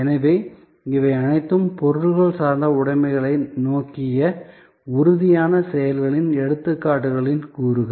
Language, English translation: Tamil, So, these are all elements of an examples of tangible actions directed towards material objects possessions